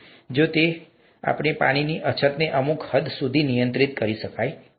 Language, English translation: Gujarati, So, if that can be done probably the water shortage can be handled to a certain extent